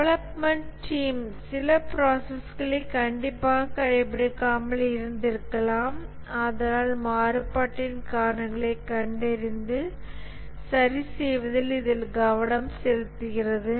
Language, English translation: Tamil, Maybe the development team is not strictly practicing some process and therefore it focuses on identifying and correcting the causes of variation